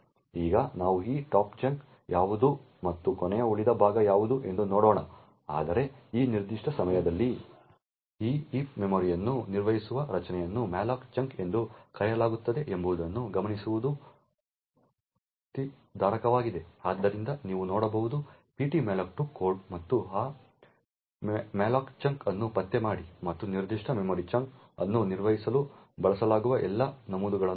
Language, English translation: Kannada, Now we will look at what this top chunk is and what last remainder chunk is later on but at this particular point of time it is interesting to note that the structure that actually manages this heap memory is known as the malloc chunk, so you can look up the ptmalloc2 code and locate this malloc chunk and see all the entries that are used to manage a particular memory chunk